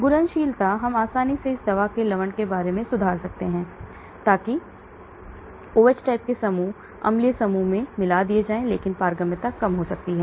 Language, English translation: Hindi, Solubility we can improve easily making salts out of this drug, so that or putting in OH type of group, acidic groups, but permeability may go down